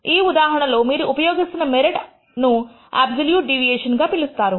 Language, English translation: Telugu, In this case the merit that you are using is what is called the absolute deviation